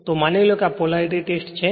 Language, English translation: Gujarati, So, suppose this is Polarity Test